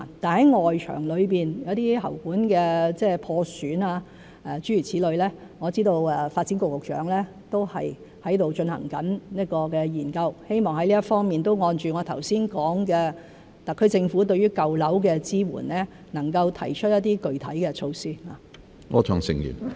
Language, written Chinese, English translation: Cantonese, 然而，就外牆的喉管破損等情況，我知道發展局局長正進行研究，希望在這方面按我剛才所說，特區政府能夠就舊樓的支援提出一些具體措施。, In respect of defective drain pipes on external walls I know that the Secretary for Development is conducting a study . I hope that as I have said just now the SAR Government can propose specific support measures for old buildings in this regard